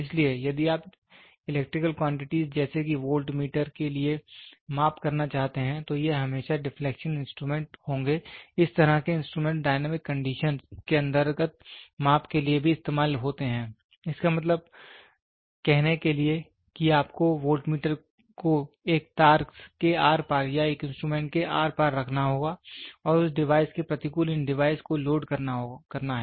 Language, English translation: Hindi, So, if you want to do it for measuring the electrical quantities voltmeter, so then this is always deflection instruments such type of instruments is used to measure under dynamic conditions also; that means, to say you have to put voltmeter occurs across a wire or across as an instrument and the against that device these device are loaded